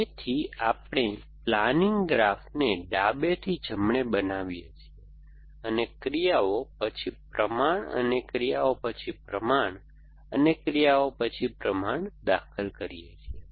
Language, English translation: Gujarati, So, we construct the planning graph from left to right, we keep inserting actions, then proportion and actions then proportion and actions then proportion